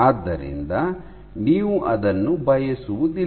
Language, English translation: Kannada, So, you do not want to do it